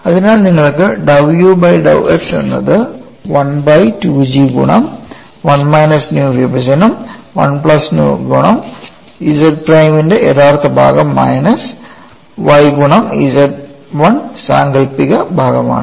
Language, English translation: Malayalam, So, what you have here is dou u by dou x equal to 1 by 2 times G of 1 minus nu divide by 1 plus nu multiplied by real part of Z 1 minus y imaginary part of Z 1 prime